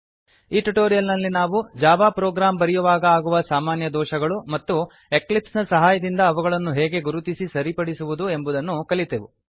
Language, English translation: Kannada, In this tutorial we have seen what are the typical errors while writing a Java program and how to identify them and rectify them using Eclipse